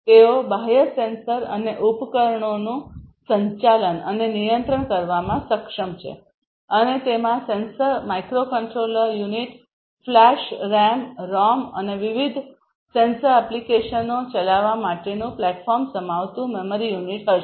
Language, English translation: Gujarati, They are capable of managing and controlling external sensors and devices and they would comprise of a sensor, a microcontroller unit, a memory unit comprising of flash RAM, ROM and a platform for running different sensor applications